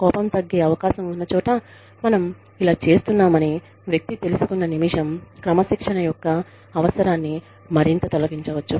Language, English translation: Telugu, The minute, the person realizes that, we are doing this, where anger is likely to come down, and the need for further discipline, can be removed